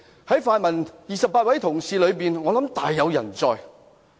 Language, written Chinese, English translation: Cantonese, 在泛民28位同事中，我想大有人在。, I believe among the 28 pan - democratic Members many have acted in contempt of the Council